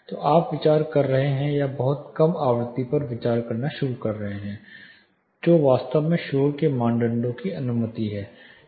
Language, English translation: Hindi, So, you are actually considering or starting to consider much lower frequencies than what noise criteria actually allowed for